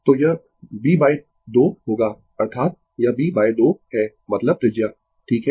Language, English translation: Hindi, So, it will be b by 2 that is, it is b by 2 means the radius, right